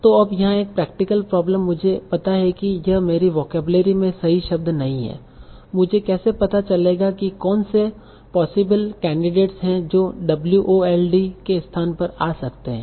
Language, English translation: Hindi, So now the practical problem here is once I know that this is not the correct word in my vocabulary how do we find out what are the possible candidates that might come in place of WOLD so that is what are the suitable candidates